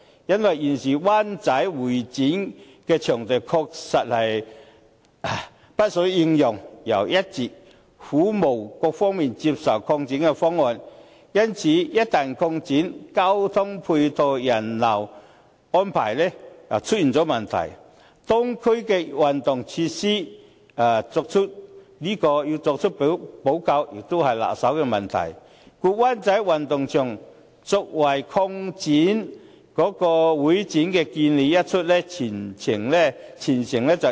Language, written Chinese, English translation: Cantonese, 現時灣仔香港會議展覽中心的場地確實不敷應用，但一直苦無各方面接受的擴展方案，一旦擴展，交通配套、人流安排就會出現問題，而如何就當區的運動場設施作出補救，亦是棘手的問題，故灣仔運動場用作會展擴建的建議一出，全城熱議。, The existing venue of the Hong Kong Convention and Exhibition Centre HKCEC in Wan Chai is indeed running out of space . However there is not an expansion proposal acceptable by all parties . Once it is expanded there will be problems in the arrangements to ease the traffic and the crowds and the remedial measure concerning the sports facilities of that district is also a difficult question to handle